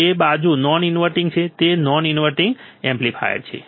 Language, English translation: Gujarati, That side is non inverting, it is a non inverting amplifier